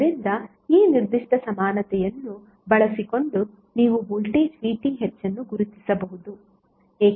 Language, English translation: Kannada, So using this particular equilency you can identify the voltage of VTh how